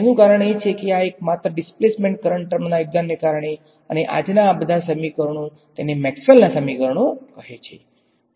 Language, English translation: Gujarati, It is because of his singular contribution of that displacement current term that all of these equations in today’s they are called Maxwell’s equations